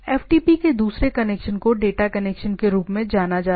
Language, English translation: Hindi, The second connection of the FTP is referred to the data connection